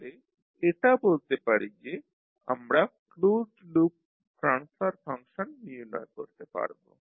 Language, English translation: Bengali, So we can say, we can determined the closed loop transfer function